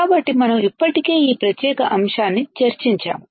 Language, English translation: Telugu, So, we have already discussed this particular point